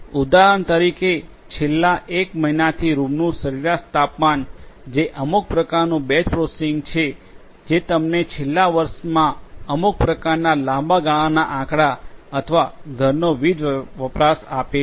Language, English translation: Gujarati, For example, you know the average temperature of a room for the last one month that is some kind of batch processing which will give you some kind of long term statistics or the power usage of a house in the last year